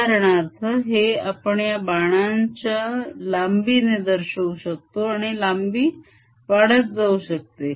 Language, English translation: Marathi, for example, it could be shown by the length of the arrow, this length